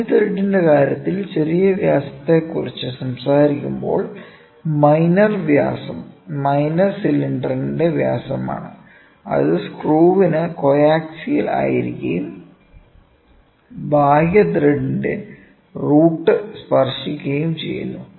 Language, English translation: Malayalam, Major diameter in case of external thread, the major diameter is a diameter of the major cylinder, which is coaxial with the screw and touches the crests of an external thread